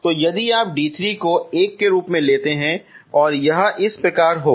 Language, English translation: Hindi, 45:47) So if you take d 3 as 1 this is going to be like this